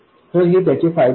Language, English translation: Marathi, So that is the advantage of this